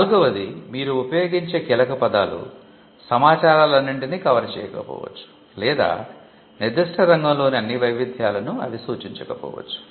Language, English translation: Telugu, Fourthly the keywords that you use may not cover all or capture all the variants in that particular field